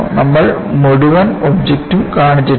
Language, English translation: Malayalam, We are not shown the entire object